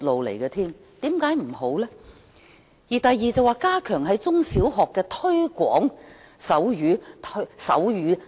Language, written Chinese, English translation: Cantonese, 議案的第二項建議是"加強在中、小學推廣手語"。, The second proposal in the motion is stepping up the promotion of sign language in primary and secondary schools